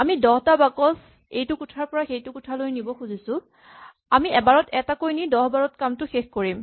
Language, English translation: Assamese, We want to carry 10 boxes from this room to that room, so 10 times we carry one box at a time from here to there